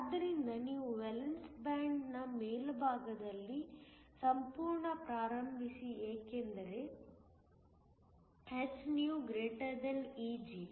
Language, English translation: Kannada, So, you start with a whole at the top of the valence band because, hυ > Eg